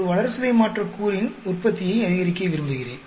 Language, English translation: Tamil, I want to maximize production of a metabolite